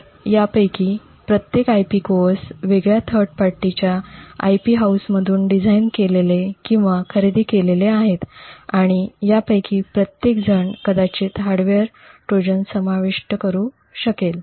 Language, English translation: Marathi, So, each of these IP cores is designed or purchased from a different third party IP house and each of them could potentially insert a hardware Trojan